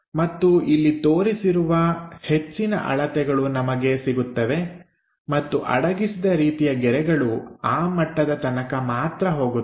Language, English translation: Kannada, And we have this maximum dimensions represented here and the hidden lines goes only at that level